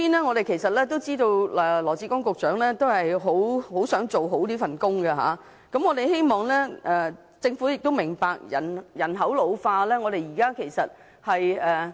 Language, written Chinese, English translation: Cantonese, 我們知道羅致光局長很想做好這份工作，我們希望政府明白現時人口老化的情況。, We all know that Secretary Dr LAW Chi - kwong really wants to get this job done . We hope the Government can understand the current situation of ageing population